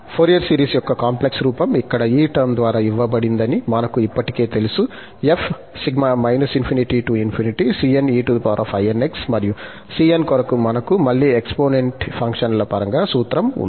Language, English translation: Telugu, Well, we know already, that the complex form of Fourier series is given by this term here, and minus infinity to plus infinity, cn e power inx, and for cn, we have the formula in terms of again exponential function